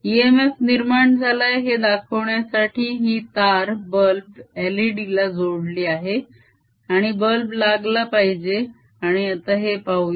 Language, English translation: Marathi, to show that an e m f is produce, that wire is connected to an l e d out here and this l e d should glow and let us see that